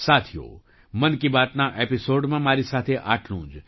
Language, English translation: Gujarati, Friends, that's all with me in this episode of 'Mann Ki Baat'